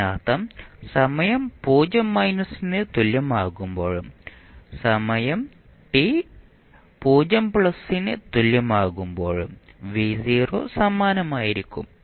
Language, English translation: Malayalam, It means v naught at time is equal to 0 minus and time t is equal to 0 plus will always remain same